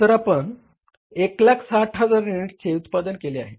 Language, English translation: Marathi, So, we have produced 160,000 units